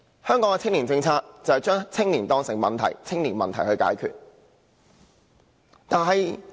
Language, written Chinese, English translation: Cantonese, 香港的青年政策只是把青年當成問題般解決。, The so - called youth policy in Hong Kong is merely a policy to deal with the youth as a problem